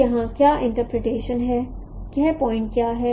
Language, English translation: Hindi, So what is the interpretation here